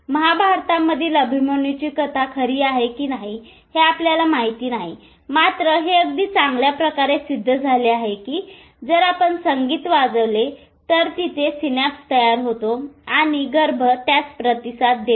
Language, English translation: Marathi, So we don't know whether Abhamanyu's story is true in Mah Mahabharata because now it is very well proven that if you play music the synapse formation and the fetus responds to it